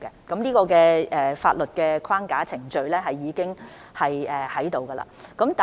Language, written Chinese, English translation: Cantonese, 這方面的法律框架及程序已經設立。, The legal framework and procedure in this respect have been set up